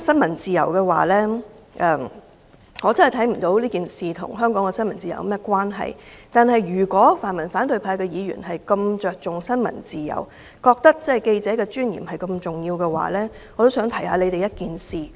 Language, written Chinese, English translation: Cantonese, 我真的看不到這事件與香港的新聞自由有何關係，但是，如果泛民和反對派議員如此着重新聞自由，認為記者的尊嚴如此重要，我也想提醒他們一件事。, I really do not see how this incident is related to freedom of the press in Hong Kong . However if pan - democratic and opposition Members attach such great importance to freedom of the press and highly respect reporters let me remind them of a video clip on the Internet featuring Boss LAI who is their boss